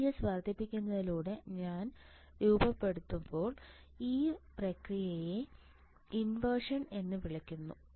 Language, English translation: Malayalam, This process when the channel is formed on increasing VGS this process this process is called inversion